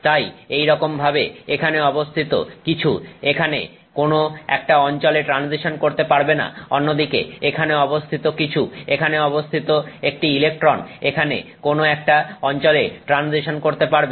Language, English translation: Bengali, So, similarly something here cannot transition to a location here, it can turn, whereas something here an electron here can transition to a location here